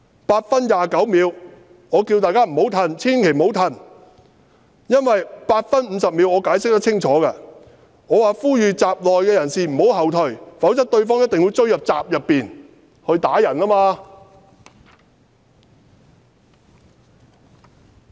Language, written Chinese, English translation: Cantonese, 8分29秒：我叫大家不要後退，千萬不要後退，我在8分50秒有清楚解釋的，我呼籲閘內人士不要後退，否則對方一定會追入閘內打人。, Dont come in . At 8 minute 29 second I told people not to retreat never to retreat . At 8 minute 50 second I clearly explained and called upon the people inside the gate not to retreat; otherwise the attackers would enter to beat them up